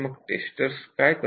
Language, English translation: Marathi, So, what do the testers do